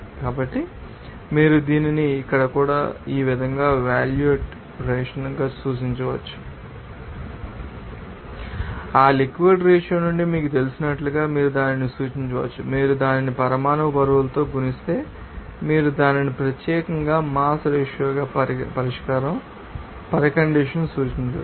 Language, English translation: Telugu, So, you can represent it as volume ratio also here like this and also you can represent it as you know that mass ratio here and from that mass ratio, if you multiply it by you know molecular weight then you can represent it as mass ratio at that particular solution condition